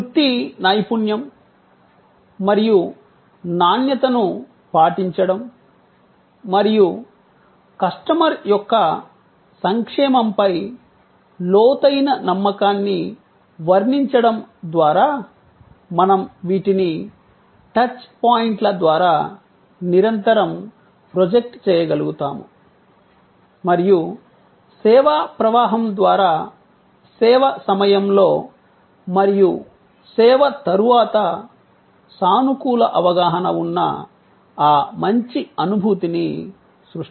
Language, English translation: Telugu, By depicting professionalism, adherence to quality, the deep belief in customer's welfare, the more we are able to project these continuously through the touch points and through the service flow, we are able to create that lingering good feeling, that positive perception during the service and after the service